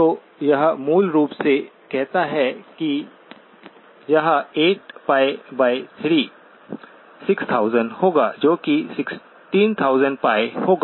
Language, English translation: Hindi, So this basically says it will be 8pi by 3 times 6000, that will be 16,000pi